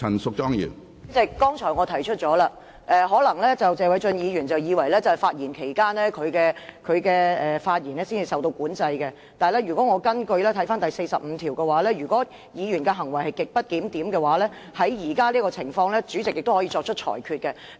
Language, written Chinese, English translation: Cantonese, 主席，我剛才已提出，謝偉俊議員可能以為在他發言期間的言論才受到管制，但《議事規則》第45條規定，如議員行為極不檢點，即在現時這種情況下，主席可作出裁決。, President as I pointed out just now Mr Paul TSE might think that only the remarks made by him when he is making a speech are subject to regulation but RoP 45 provides that the President may as under the present circumstances make a ruling on a Member whose behaviour is considered grossly disorderly